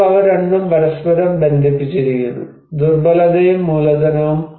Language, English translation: Malayalam, So, now they both are interlinked, vulnerability, and capital